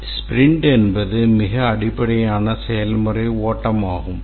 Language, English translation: Tamil, The sprint, as I was saying, is the possibly the most fundamental process flow